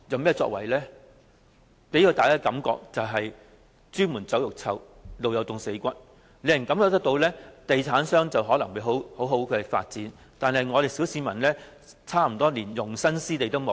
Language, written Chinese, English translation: Cantonese, 它只能給大家"朱門酒肉臭，路有凍死骨"的感覺，地產商在賺大錢，但小市民卻連容身之地也沒有。, People will only think that while the rich enjoy their riches the poor are left to perishing on their own . They will think that property developers are making big money but ordinary people do not even have a place to live in